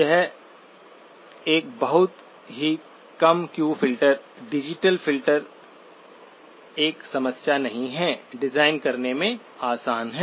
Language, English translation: Hindi, It is a very low Q filter, digital filter, not a problem, easy to design